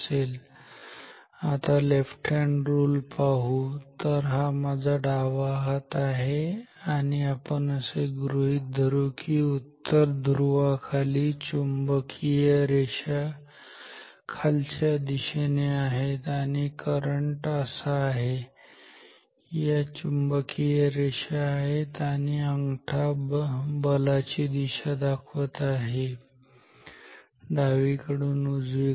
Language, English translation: Marathi, So, left hand rule now ok, so this is my left hand let us consider the region below the north pole now below the north pole flux lines are downwards, current is like this is current this is flux lines and my thumb is indicating the force which is from left to right